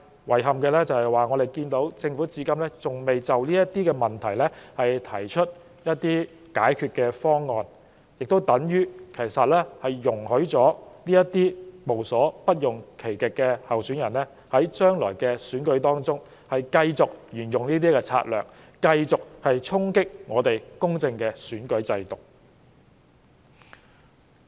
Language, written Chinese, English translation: Cantonese, 遺憾的是，政府至今仍未就相關問題提出解決方案，變相容許這些無所不用其極的候選人在未來的選舉中繼續採用這些策略，衝擊我們公正的選舉制度。, Regrettably the Government has yet to put forward any proposal to address these problems essentially allowing these unscrupulous candidates to keep using such tactics in future elections to undermine the integrity of our electoral system